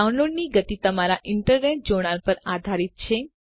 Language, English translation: Gujarati, The download speed depends on your internet connection